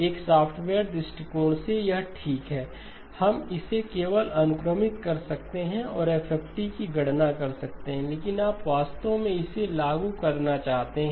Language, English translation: Hindi, From a software point of view, this is fine, we can just index it and compute FFT, but you actually want to implement it